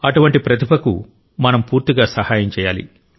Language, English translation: Telugu, We have to fully help such emerging talents